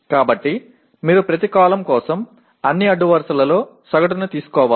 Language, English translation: Telugu, So you have to take the average over across all the rows for each column